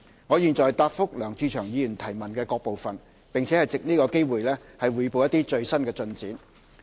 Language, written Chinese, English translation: Cantonese, 我現答覆梁志祥議員質詢的各部分，並藉此機會匯報一些最新進展。, I will now reply the various parts of Mr LEUNG Che - cheungs question and take this opportunity to report some updates